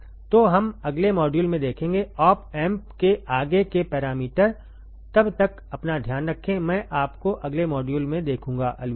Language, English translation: Hindi, So, we will see in the next module, the further parameters of the op amp, till then, you take care, I will see you in the next module, bye